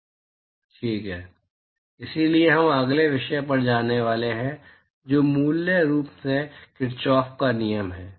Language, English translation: Hindi, So, we going to move to the next topic, which is basically it is Kirchhoff’s law